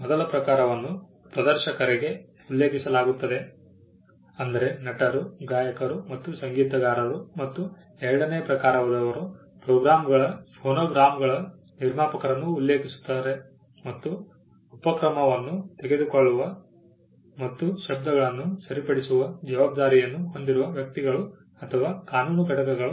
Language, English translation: Kannada, The first type referred to performers; actors, singers and musicians and the second type refer to producers of phonograms; persons or legal entities that take the initiative and have the responsibility for the fixation of sounds